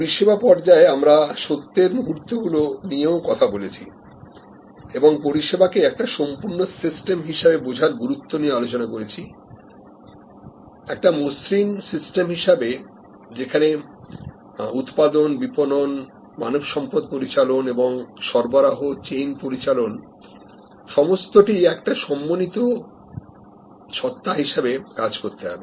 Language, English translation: Bengali, In the service stage we talked about the moments of truth and the importance of understanding service as a complete system, as a seem less system, where operations, marketing, human resource management, supply chain management have to all work as an integrated entity